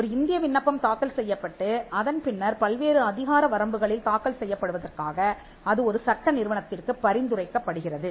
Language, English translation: Tamil, An Indian application is filed and then referred to a law firm for filing in different jurisdictions